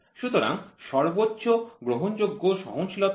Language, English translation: Bengali, So, what is the maximum permissible tolerance